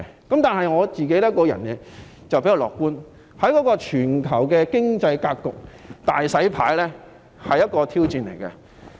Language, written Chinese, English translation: Cantonese, 然而，我比較樂觀，認為全球經濟格局"大洗牌"是一個挑戰。, Nevertheless I am relatively optimistic and consider the grand reshuffle of the shape of global economy a challenge